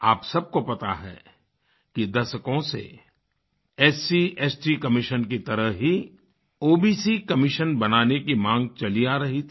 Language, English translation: Hindi, As you know, a demand to constitute an OBC Commission similar to SC/ST commission was long pending for decades